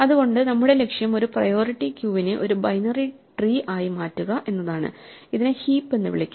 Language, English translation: Malayalam, So, our goal is to maintain a priority queue as a special kind of binary tree which we will call a heap